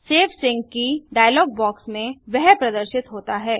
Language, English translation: Hindi, In the save sync key dialog box that appears